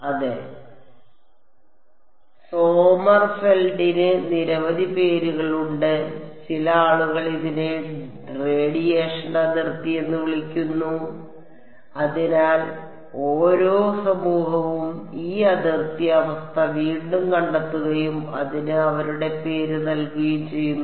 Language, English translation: Malayalam, Yeah, there are many names Sommerfeld some people call it radiation boundary and so, on, Every community rediscovers this boundary condition and gives their name to it ok